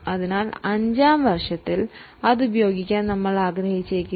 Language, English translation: Malayalam, So, we may not want to use it in fifth year